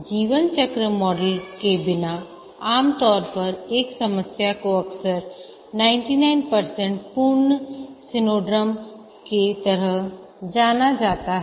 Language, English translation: Hindi, Without a lifecycle model, usually a problem that is known as the 99% complete syndrome occurs